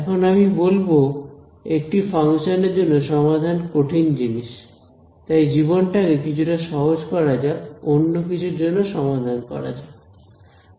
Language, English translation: Bengali, Now I say that solving for a function is a difficult thing; let me make my life a little simpler let me now solve for something else